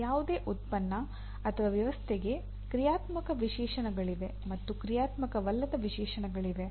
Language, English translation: Kannada, There are for any product or system there are functional specifications and there are non functional specifications